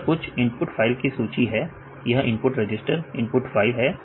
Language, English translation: Hindi, There is some list of input files this is input register input files